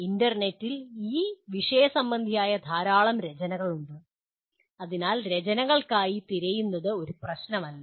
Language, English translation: Malayalam, And there is a huge amount of literature on the internet, so searching for literature is not an issue